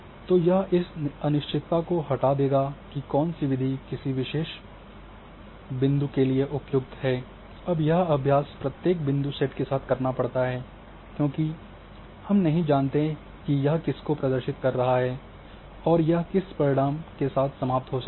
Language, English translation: Hindi, So, this will remove my sort of uncertainty about which method is suitable for that particular set of points, now this exercise has to be done with each new set of the point because we don’t know what itwhat it is representing you may end up with the same result, but it has to be done with each set of new points